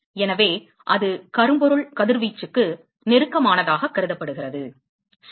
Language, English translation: Tamil, So, that is why it is considered as, close to blackbody radiation, ok